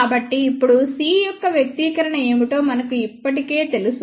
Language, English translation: Telugu, So, now, we already know what is the expression for c s